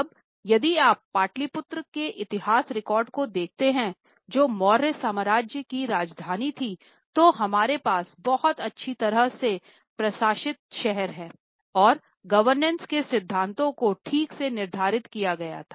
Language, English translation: Hindi, Now, if you look at the history records of Patli Putra, which was the capital of Mauryan Empire, we have a very well administered city and there were properly laid down principles of governance